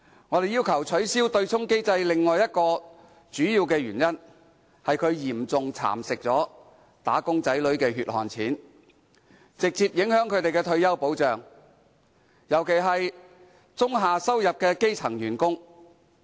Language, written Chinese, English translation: Cantonese, 我們要求取消對沖機制的另一主要原因，是它嚴重蠶食"打工仔女"的"血汗錢"，直接影響他們的退休保障，尤其是中下收入的基層員工。, Another major reason for requesting the abolition of the offsetting mechanism is that this arrangement has seriously eroded the hard - earned money of wage earners and directly affected their retirement protection especially the low - and middle - income grass - roots workers